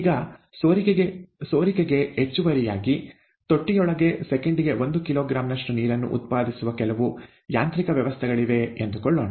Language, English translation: Kannada, Now suppose that in addition to the leak, there is some mechanism inside the tank itself that is generating water at one kilogram per second, okay